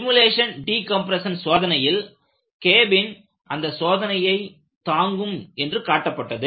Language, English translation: Tamil, They simulated decompression test of a cabinwhich showed that it could withstand the test